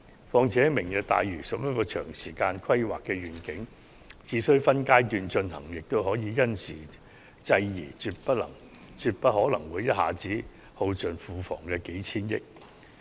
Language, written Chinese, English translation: Cantonese, 況且，"明日大嶼"屬於長時間的規劃願景，只需分階段進行，便可因時制宜，絕不可能會一下子耗盡庫房的數千億元儲備。, Moreover Lantau Tomorrow is a planning vision which will take many years to realize and its phased implementation will enable timely adjustments to be made . It is absolutely impossible for our hundreds of billions of fiscal reserves to be exhausted in one go